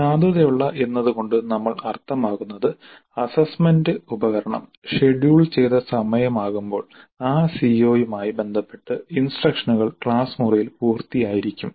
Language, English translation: Malayalam, By valid what we mean is that the time at which the assessment instrument is scheduled by the time the instructional material related to the COO has been completed in the classroom